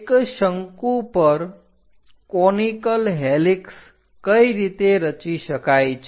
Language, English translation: Gujarati, How to construct a conical helix over a cone